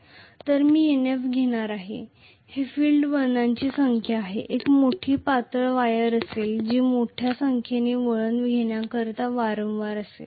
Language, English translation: Marathi, So I am going to have Nf that is the number of field turns will be large thin wire which will be wound over and over to make huge number of turns